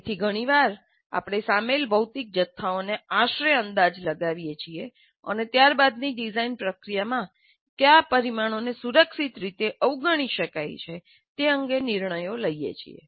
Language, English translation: Gujarati, So often we make rough estimates of the physical quantities involved and make a judgment as to which parameters can be safely ignored in the subsequent design process